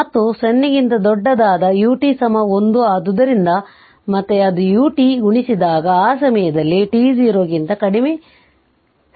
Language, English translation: Kannada, And for t greater than 0, U t is equal to 1, so that is why again it is U t is multiplied right, because at that time t less than 0 the switch was open right